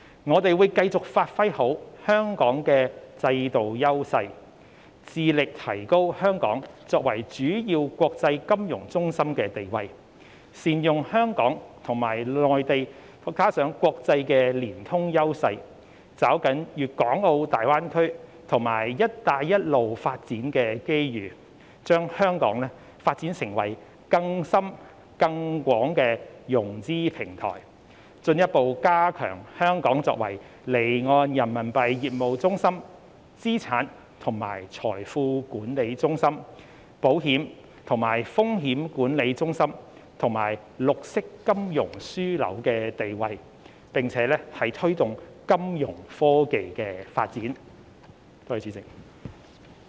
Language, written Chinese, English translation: Cantonese, 我們會繼續好好發揮香港的制度優勢，致力提高香港作為主要國際金融中心的地位，善用香港與內地以至國際的連通優勢，抓緊大灣區及"一帶一路"發展的機遇，將香港發展成更深更廣的融資平台，進一步加強香港作為離岸人民幣業務中心、資產及財富管理中心、保險及風險管理中心，以及綠色金融樞紐的地位，並推動金融科技的發展。, We will continue to effectively give play to the institutional advantages in Hong Kong and be committed to upgrading Hong Kongs position as a major financial centre . We will leverage Hong Kongs connectivity with the Mainland and the international market and capitalize on the opportunities presented by the Greater Bay Area and the Belt and Road Initiative with a view to developing Hong Kong into a broader and deeper fundraising platform . We will further enhance Hong Kongs position as a centre for offshore Renminbi business asset and wealth management insurance risk management and green finance and promote the development of financial technology